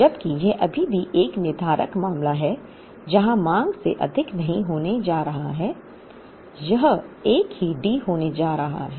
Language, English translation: Hindi, Whereas, this is still a deterministic case, where the demand is not going to exceed, it is going to be the same D